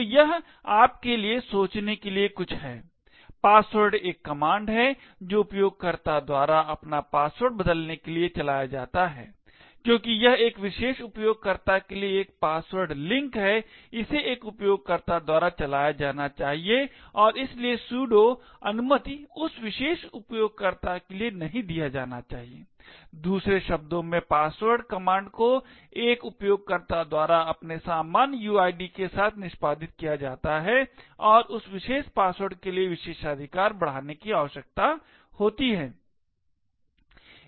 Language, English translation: Hindi, So this is something for you to think about, password is a command that is run by a user to change his or her password, since this is a password link to a particular user, it should be run by a user and therefore the sudo permission should not be given for that particular user, in other words the password command is executed by a user with his normal uid and does not require to escalate privileges for that particular password